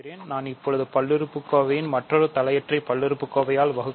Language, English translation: Tamil, So, we can always divide one polynomial by another monic polynomial